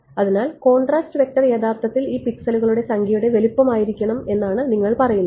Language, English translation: Malayalam, So, you are saying that contrast vector should have been actually the size of the number of the pixels of this right this whole